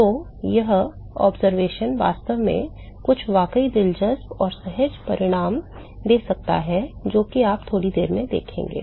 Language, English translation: Hindi, So, this observation actually can lead to some really interesting and intuitive results, which is what you will see in a short while